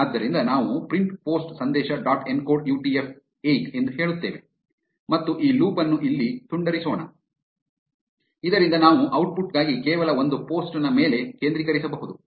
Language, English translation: Kannada, So, we say print post message dot encode UTF 8 and let us break this loop here, so that we can focus on only one post for the output